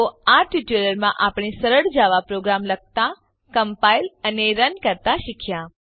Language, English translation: Gujarati, So in this tutorial, we have learnt to write, compile and run a simple java program